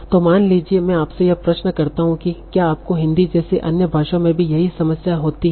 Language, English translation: Hindi, So now, suppose I ask you this question, do you have the same problem in other languages like Hindi